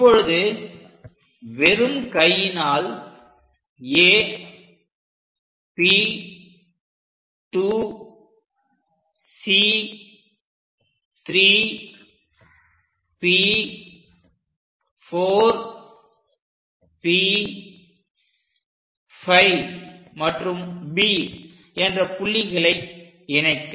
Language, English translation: Tamil, Now, draw a freehand sketch which is passing through A P 2 C 3 P 4 P 5 and B